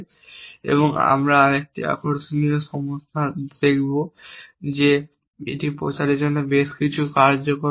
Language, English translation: Bengali, And we will look at another interesting problem that propagation demands that quite effectively